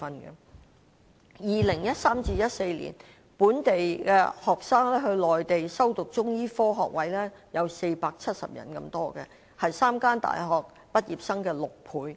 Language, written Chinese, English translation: Cantonese, 在 2013-2014 年度，本地學生到內地修讀中醫科學位有470人之多，是3間大學畢業生的6倍。, In 2013 - 2014 there were as many as 470 local students six times the number of graduates from three universities taking undergraduate degree courses in Chinese medicine on the Mainland